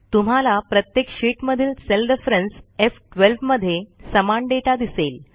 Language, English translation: Marathi, We see that in each of these sheets, the cell referenced as F12 contains the same data